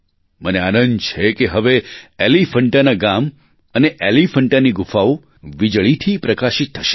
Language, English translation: Gujarati, I am glad that now the villages of Elephanta and the caves of Elephanta will be lighted due to electrification